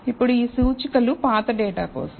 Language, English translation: Telugu, So, now, these indices are for the old data